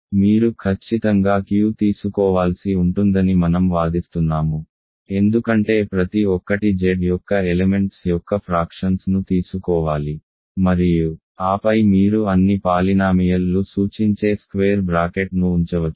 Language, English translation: Telugu, I claim that you have to of course take Q, because every you have to take fractions of elements of Z and then you can put either square bracket meaning all polynomials ok